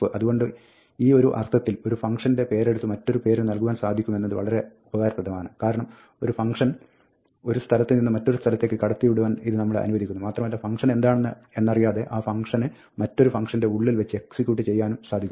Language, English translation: Malayalam, So, in this sense, being able to take a function name and assign it to another name is very useful, because, it allows us to pass functions from one place to another place, and execute that function inside the another function, without knowing in advance what that function is